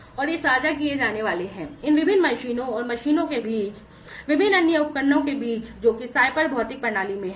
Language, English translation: Hindi, And they are going to be shared, seamlessly between these different machines and machines, and the different other instruments, that are there in the cyber physical system